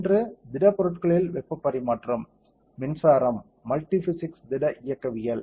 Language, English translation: Tamil, One is heat transfer in solids, electric currents, multi physics solid mechanics